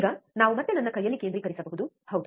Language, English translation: Kannada, Now, we can focus again on my hand, yes